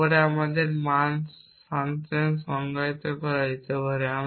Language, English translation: Bengali, Then can be defined this value function and that we can do as follows